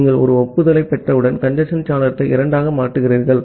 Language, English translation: Tamil, Once you are getting an acknowledgement, you make the congestion window to 2